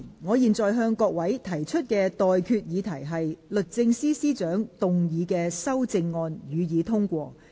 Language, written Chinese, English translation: Cantonese, 我現在向各位提出的待決議題是：律政司司長動議的修正案，予以通過。, I now put the question to you and that is That the amendments moved by the Secretary for Justice be passed